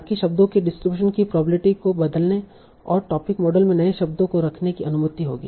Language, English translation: Hindi, So that will allow changing the probability distribution of words and also having new words in the topic model